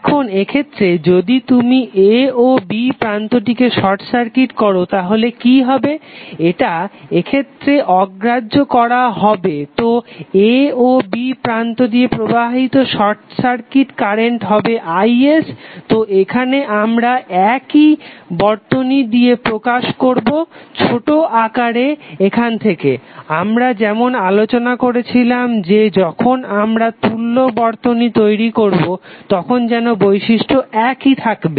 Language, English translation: Bengali, So that would be in both of the cases now, if you are making short circuiting the terminal a and b what would be the value of short circuit current flowing through, flowing from a to b now, let see this circuit once again when the circuit is same as it was previous the thing which we have to do now, is that you have to short circuit a and b and your objective is to find out the value of this current, short circuit current